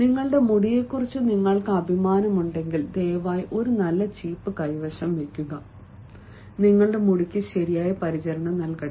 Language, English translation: Malayalam, if you are so proud of hair, as i will say, please also possess good crop, let your hair be given proper care